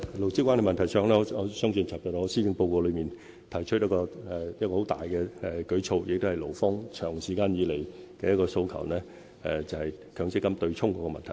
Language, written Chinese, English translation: Cantonese, 勞資關係問題上，我在昨天發表的施政報告中，已提出一個很大的舉措，亦是勞方長期以來的訴求，就是強積金對沖的問題。, On labour relations I have proposed a major initiative in yesterdays Policy Address regarding the offsetting arrangement of the Mandatory Provident Fund which has long been requested by employees